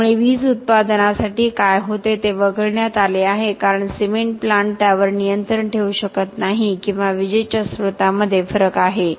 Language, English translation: Marathi, So what happens for the electricity production is excluded because the cement plant may not be able to control that or there is variation in the source of electricity